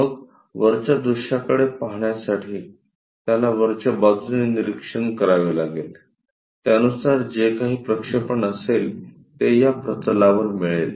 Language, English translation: Marathi, Then, to look at top view, he has to go observe the from top side whatever this projection he is going to get onto that plane